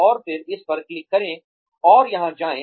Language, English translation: Hindi, And then, click on this, and go here